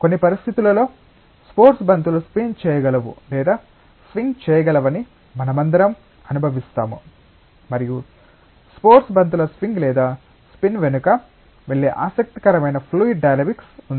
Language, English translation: Telugu, And all of us experience that sports balls under certain conditions can spin or can swing and there is a interesting fluid dynamics that goes behind the swing or spin of sports balls